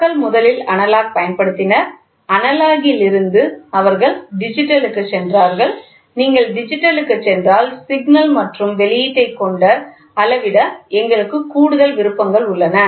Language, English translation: Tamil, People first started moving from first used analog, from analog they went to digital and they said while if you go the digital we have more options to play with the signal and the output